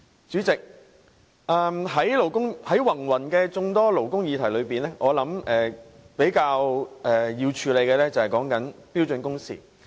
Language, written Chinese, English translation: Cantonese, 主席，在眾多勞工議題中，我相信要較先處理的是標準工時。, President among various labour issues I believe standard working hours should be given priority